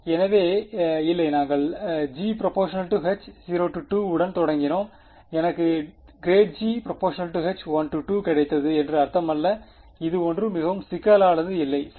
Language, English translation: Tamil, So, not I mean we started with g which was H 0 2 and I got grad g is H 1 2 not very complicated right ok